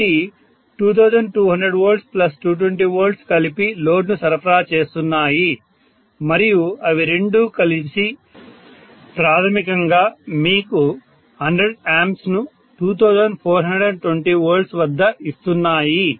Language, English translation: Telugu, So 2200 V plus 220 V together is supplying the load and together it is giving you basically, you know 2420 V at 100 amperes itself, right